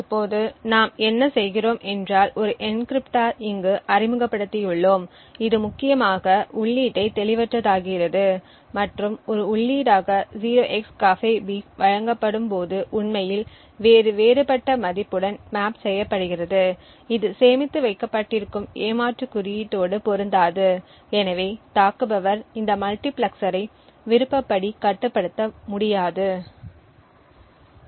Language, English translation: Tamil, Now what we have done is we have introduce an encryptor over here which essentially obfuscates the input and 0xCAFEBEEF when supplied as an input is actually mapped to some other totally different value and therefore will not match the cheat code which is stored and therefore the attacker will not be able to control this multiplexer as per the wishes